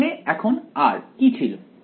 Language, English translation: Bengali, Now what was r over here